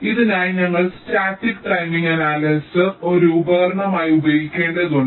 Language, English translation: Malayalam, so for this we need to use static timing analyzer as a tool